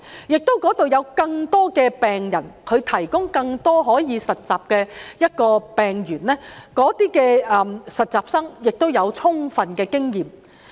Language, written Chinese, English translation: Cantonese, 那裏亦有更多病人，可以提供更多實習的病例，讓實習生獲取充分的經驗。, With more patients there more cases are available for internship to allow interns to gain sufficient experience